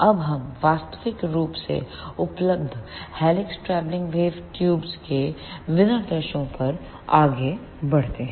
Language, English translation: Hindi, Now, let us move onto the specifications of practically available helix travelling wave tubes